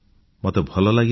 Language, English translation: Odia, I liked it